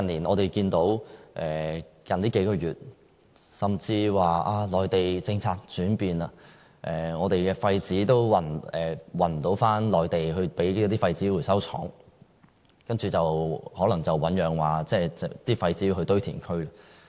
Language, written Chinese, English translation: Cantonese, 我們近月看到內地政策轉變，以致不能把廢紙運回內地的廢紙回收廠，那些廢紙可能要運往堆填區。, In recent months due to the policy change in the Mainland local waste paper recyclers were unable to deliver their waste papers to the Mainland recycling plants . The waste papers are likely to be sent to the local landfills instead